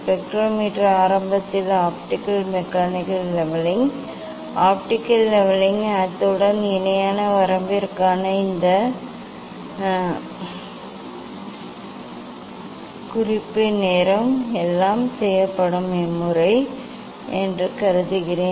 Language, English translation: Tamil, I assume that the spectrometer is initially level optically mechanical levelling, optical levelling, as well as the this for parallel range these method that everything is done